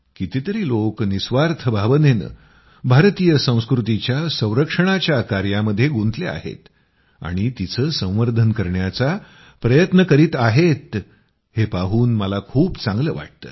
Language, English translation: Marathi, I feel good to see how many people are selflessly making efforts to preserve and beautify Indian culture